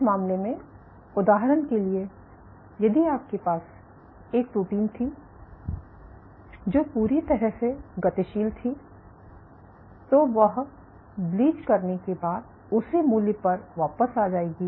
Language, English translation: Hindi, So, in this case for example, if you had a protein which was fully mobile then after you bleach it will come down come back to the same value